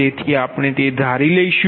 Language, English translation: Gujarati, so i will come to that